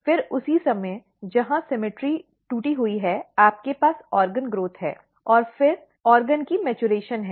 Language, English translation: Hindi, Then at the same time here there is a symmetry broken you have organ growth and then maturation of the organ